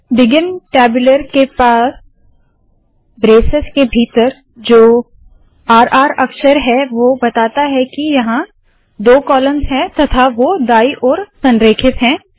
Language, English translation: Hindi, The r r characters within the braces next to the begin tabular say that there are two columns and that they are right aligned